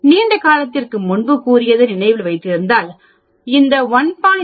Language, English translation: Tamil, If you remember long time back I did mention how this 1